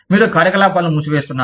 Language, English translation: Telugu, You are winding up operations